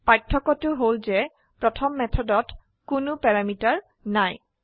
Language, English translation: Assamese, The difference is that the first method has no parameter